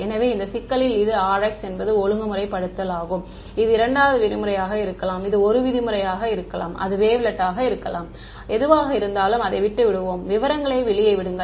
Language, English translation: Tamil, So, in this problem this Rx is the regularization, this can be 2 norm, it can be 1 norm, it can be wavelet something whatever right let us just leave out leave the details out